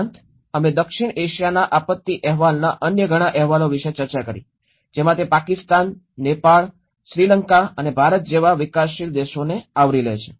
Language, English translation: Gujarati, Also, we did discussed about various other reports of South Asian disaster report, where it has covered in kind of developing countries like Pakistan, Nepal, Sri Lanka and India